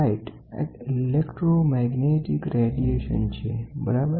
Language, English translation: Gujarati, Light is an electromagnetic radiation, ok